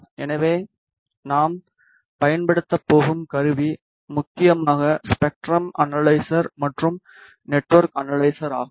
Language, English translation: Tamil, So, the instrument that we are going to use are mainly the spectrum analyzer and the network analyzer